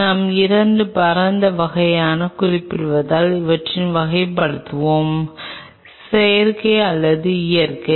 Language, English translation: Tamil, Let us classify them as we are mentioning into 2 broad categories; Synthetic and Natural